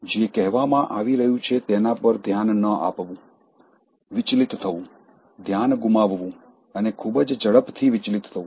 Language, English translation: Gujarati, Not paying attention to what is being said, getting distracted, losing focus and getting distracted so quickly